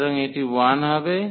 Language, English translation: Bengali, So, this will be 1